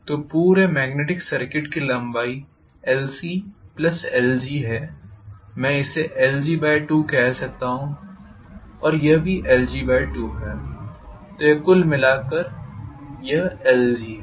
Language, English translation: Hindi, So the magnetic circuit length on the whole is l c plus l g, maybe I can call this as l g by 2 and this is also l g by 2, together it becomes l g, right